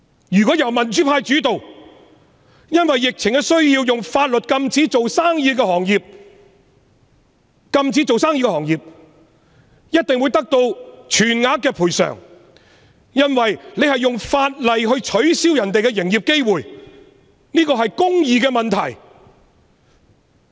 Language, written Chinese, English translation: Cantonese, 如果香港由民主派主導，因為疫情而採用法律手段禁止營業的行業，一定會得到全額賠償，因為政府是運用法例剝奪他們營業的機會，這是公義的問題。, If Hong Kong was led by the pro - democracy camp businesses banned from operation by legislative means due to the epidemic would definitely receive full compensation because the Government has made use of the law to deprive them of opportunities to do business . This is a matter of justice